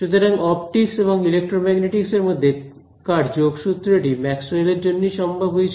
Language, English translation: Bengali, So, the linking of optics and electromagnetics was made possible by Maxwell